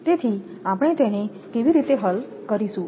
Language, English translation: Gujarati, So, it will be how we will solve it